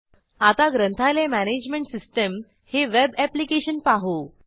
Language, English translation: Marathi, Now let us look at the web application – the Library Management System